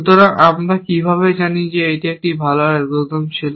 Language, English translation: Bengali, So, how do we know it was a good algorithm